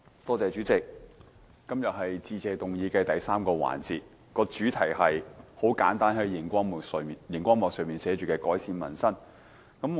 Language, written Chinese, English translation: Cantonese, 代理主席，今天是致謝議案的第三個辯論環節，主題是——很簡單——就是熒光幕上所顯示的"改善民生"。, Deputy President today we are in the third debate session of the Motion of Thanks . The theme is straightforward Improving Peoples Livelihood as displayed on the screen